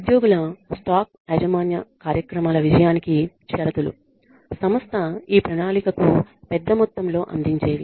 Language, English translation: Telugu, The conditions for success of employee stock ownership programs are large contributions by the company to the plan